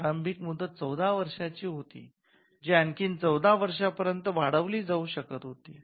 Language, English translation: Marathi, So, the initial term was 14 years which could be extended to another 14 years